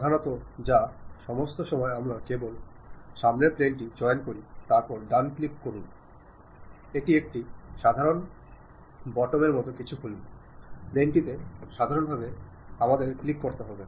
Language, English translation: Bengali, Mainly or all the time we pick only front plane, then give a right click, it open something like a normal button, normal to that plane we have to click